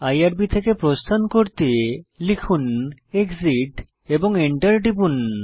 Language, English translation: Bengali, To exit from irb type exit and press Enter